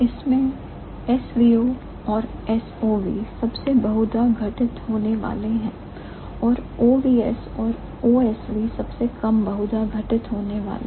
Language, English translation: Hindi, And of these S V O and S O V are the most frequently occurred ones and O V S V at the least frequently occurred ones